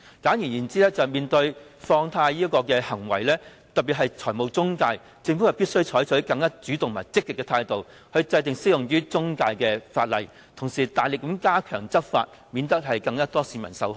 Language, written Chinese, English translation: Cantonese, 簡而言之，對於放貸行為，特別是中介公司，政府必須採取更主動和積極的態度，制定適用於中介公司的法例，同時大力加強執法，以免有更多市民受害。, In short with regard to money - lending activities especially those involving intermediaries the Government must adopt a more proactive and positive attitude and enact legislation applicable to intermediaries and at the same time vigorously step up enforcement actions so as to prevent more people from becoming victims